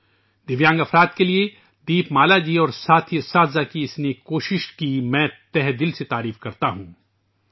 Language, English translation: Urdu, I deeply appreciate this noble effort of Deepmala ji and her fellow teachers for the sake of Divyangjans